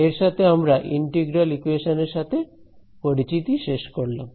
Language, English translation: Bengali, So, with this we can bring this particular introduction to integral equations to end